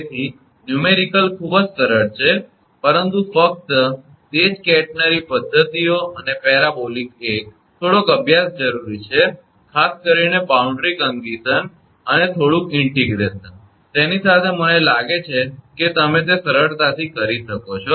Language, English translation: Gujarati, So, numerical are very simple, but only those catenary methods and parabolic one, little bit practice is necessary, a little bit understanding particularly the boundary condition and little bit of integration, with that I think you can easily do it with that